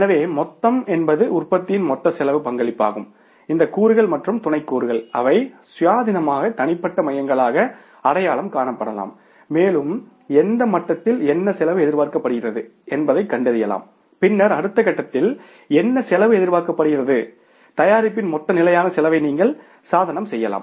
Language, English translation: Tamil, So whole means this components and sub components which are contributing to the total cost of the production they can be identified as independent individual cost centers and we can find out at what level what cost is expected and then at next level what cost is expected